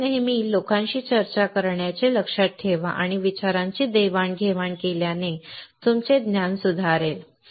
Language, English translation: Marathi, So, always remember to discuss with people understanding and sharing of ideas will improve your knowledge